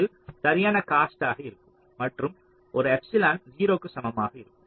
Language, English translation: Tamil, it will be just cost, and an epsilon equals to zero